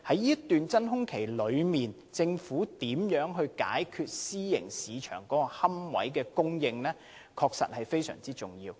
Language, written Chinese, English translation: Cantonese, 在這段真空期內，政府如何解決私營市場的龕位供應問題，確實至關重要。, Thus it would be most important for the Government to adopt suitable measures to address the lack of supply of private niches